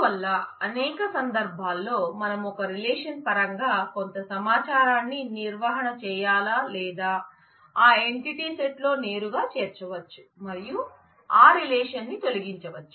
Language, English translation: Telugu, So, in several cases there is a question of whether we maintain some information in terms of a relation or we can make that directly include that directly in the entity set and get rid of that relation